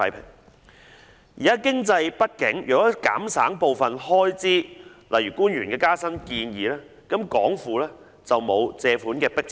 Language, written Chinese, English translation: Cantonese, 他表示當時經濟不景，如能減省部分開支如官員的加薪建議，港府便沒有借款的迫切性。, He stated that given the economic downturn back then some cost - cutting measures such as giving public officers no pay rise would remove the urgency for the Hong Kong Government to borrow